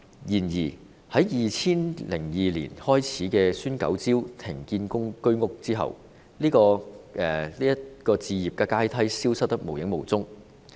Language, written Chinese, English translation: Cantonese, 然而，自2002年開始推出"孫九招"停建居屋後，這個置業階梯消失得無影無蹤。, However this ladder to home ownership has vanished into thin air after implementation of the moratorium on the development of HOS units as part of SUENs nine strokes in 2002